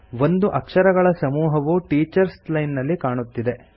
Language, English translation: Kannada, A set of characters are displayed in the Teachers Line